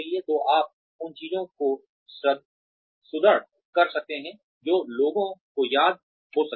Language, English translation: Hindi, So, you can reinforce things that, people may have missed